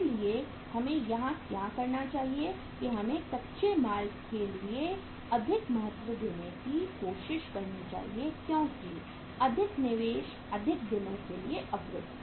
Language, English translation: Hindi, So what we should do here that we should try to give more importance to the raw material stage because more investment, blocked for more number of days